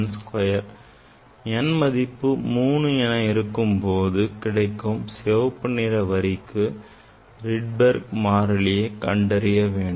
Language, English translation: Tamil, you calculate Rydberg constant for n equal to 4 next colors calculate Rydberg constant